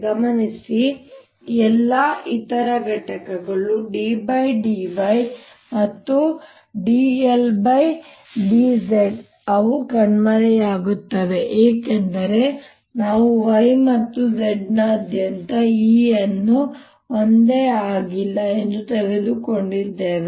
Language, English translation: Kannada, notice that all the other components, d by d, y and d by d z, they vanish because we have taken e naught to be same all over y and z